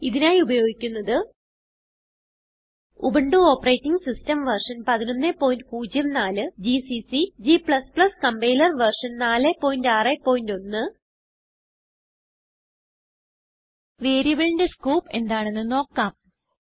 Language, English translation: Malayalam, To record this tutorial, I am using Ubuntu Operating System version 11.04, gcc and g++ Compiler version 4.6.1 Let us start with the introduction to the scope of variables